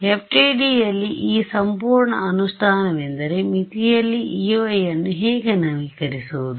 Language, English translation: Kannada, So, this whole implementing in FDTD is how do I update E y on the boundary